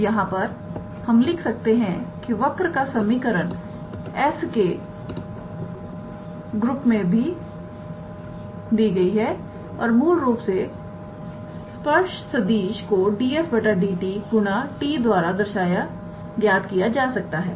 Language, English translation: Hindi, So, here we see that the equation of the curve is given in terms of s and in this case and basically the tangent vector can be calculated at ds dt times the unit tangent vector t, alright